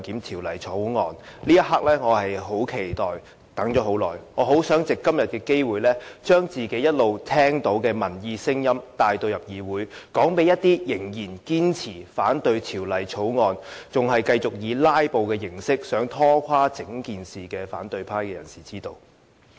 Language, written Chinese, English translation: Cantonese, 這一刻我很期待，很想藉今天的機會將自己一直聽到的民意聲音帶進議會，讓一些仍然堅持反對《條例草案》，仍然繼續想以"拉布"形式拖垮整件事的反對派人士知道。, I have been looking forward to this moment and I hope to take this opportunity to bring into this Council the peoples voices that I have heard for a long time . I hope that such voices can be heard by Members of the opposition camp who still steadfastly oppose the Bill and who still wish to abort the whole project by filibustering